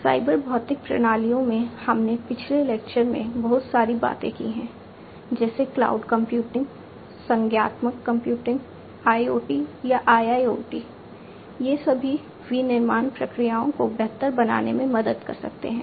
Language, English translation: Hindi, Cyber physical systems we have talked a lot in a previous lecture also associated technologies such as cloud computing, cognitive computing, IoT or IIoT; all of these can help in making manufacturing processes sorry, manufacturing processes better